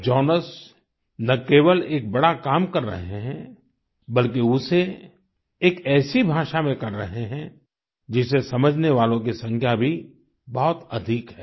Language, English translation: Hindi, Jonas is not only doing great work he is doing it through a language understood by a large number of people